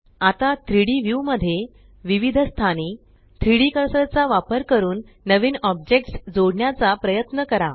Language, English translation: Marathi, Now try to add new objects to the 3D view in different locations using the 3D cursor